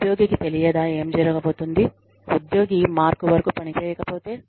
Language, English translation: Telugu, Did the employee know, what was going to happen, if the employee did not perform, up to the mark